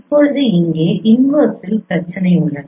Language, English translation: Tamil, Now here the problem is in the reverse